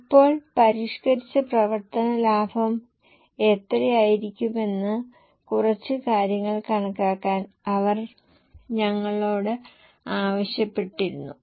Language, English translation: Malayalam, Now, they had asked us to compute a few things as to what will be the revised operating profit